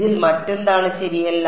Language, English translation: Malayalam, What else is not correct about it